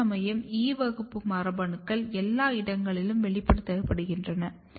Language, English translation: Tamil, Whereas, E class genes are basically expressed everywhere